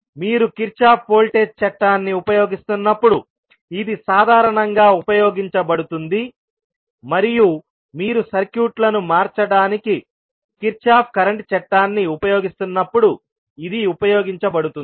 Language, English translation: Telugu, This would be usually utilized when you are using the Kirchhoff voltage law and this can be utilized when you are utilizing Kirchhoff current law for converting the circuits